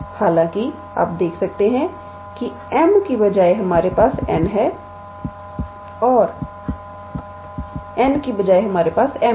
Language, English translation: Hindi, However, you can see that instead of m we have n, and instead of n we have m